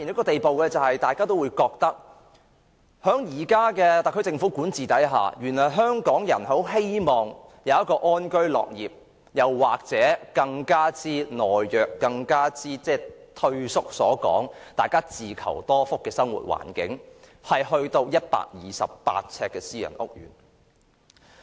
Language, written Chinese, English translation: Cantonese, 大家都覺得在現時特區政府的管治下，香港人其實只想安居樂業，或更懦弱和退縮的說法，是想有一個自求多福的生活環境，但已到了128平方呎私人屋苑的地步。, Under the administration of the SAR Government all Hong Kong people want is to live and work in peace and contentment or to put it in a more cowardly or withdrawn way to fend for themselves